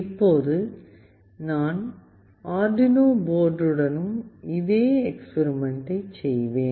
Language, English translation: Tamil, Now I will be doing the same experiment with Arduino board